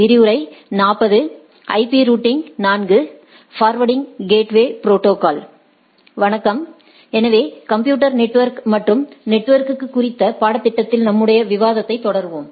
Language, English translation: Tamil, Hello, so we will continue our discussion on the course on Computer Networks and Internet